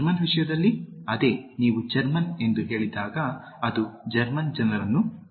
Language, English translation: Kannada, Same thing with German, when you say the German, it refers to the German people